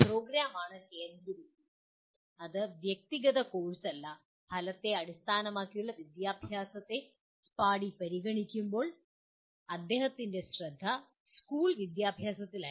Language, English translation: Malayalam, Program is the focus and not necessarily the individual course and when Spady considered outcome based education his focus was on school education